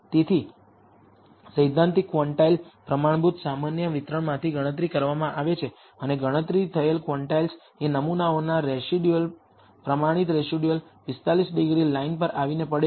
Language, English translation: Gujarati, So, the theoretical quantiles computed from the standard normal distribution and the quantiles computed from the sample residuals, standardized residuals, the fall on the 45 degree line